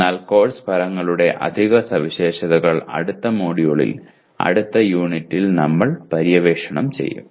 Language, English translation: Malayalam, But the additional features of course outcomes we will explore in the next module, next unit actually